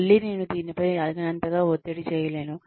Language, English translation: Telugu, Again, I cannot stress on this enough